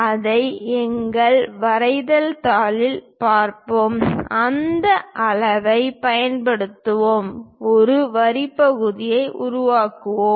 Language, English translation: Tamil, Let us look at that on our drawing sheet; let us use a scale, construct a line segment